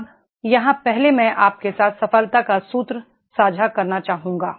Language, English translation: Hindi, Now, here first I would like to share with you the formula of success